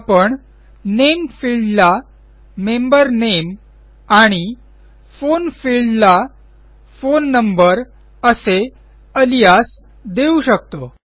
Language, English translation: Marathi, So the Name field can have an alias as Member Name and the Phone field can have an alias as Phone Number